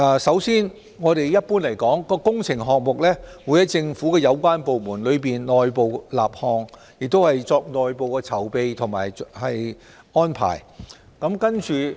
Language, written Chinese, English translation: Cantonese, 首先，一般來說，工程項目會由政府有關部門立項，並作內部籌備和安排。, First of all generally speaking a relevant department in the Government will initiate a works project and make internal preparation and arrangement for it